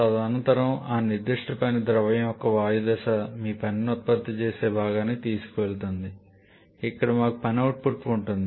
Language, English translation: Telugu, And subsequently that gaseous phase of that particular working fluid is taken to your work producing component where we have the or where we have the work output